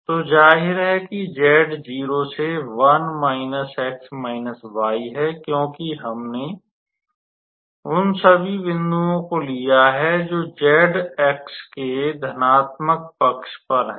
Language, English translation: Hindi, So, obviously the z is varying from 0 to 1 minus x minus y, because we start with all the points which are lying on the positive side of the z axis